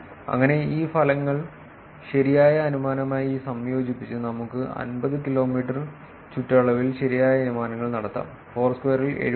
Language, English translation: Malayalam, Thus combining these results with the correct inference produced we can make correct inferences in a radius of 50 kilometers with the accuracies that achieves 78